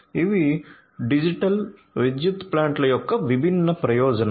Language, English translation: Telugu, So, these are these different benefits of digital power plants